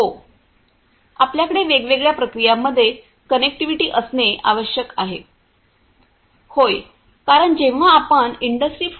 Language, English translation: Marathi, We need to have connectivity between the different processes Yeah, because when you say the industry 4